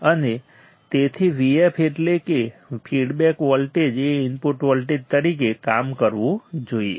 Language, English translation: Gujarati, And hence V f that is feedback voltage must act as a input voltage